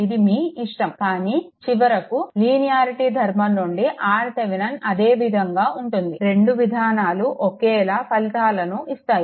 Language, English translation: Telugu, It is up to you, but ultimately, your R Thevenin will remain same right from your linearity property; Both the approaches give identical results